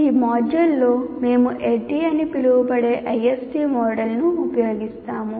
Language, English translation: Telugu, In this module, we use ISD model called ADDI